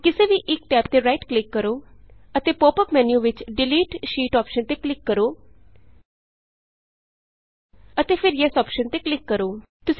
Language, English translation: Punjabi, Now right click over one of the tabs and click on the Delete Sheet option from the pop up menu and then click on the Yes option